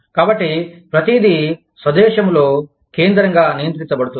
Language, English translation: Telugu, So, everything is controlled, centrally in the home country